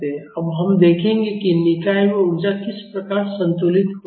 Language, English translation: Hindi, Now we will see how the energy in the system is balanced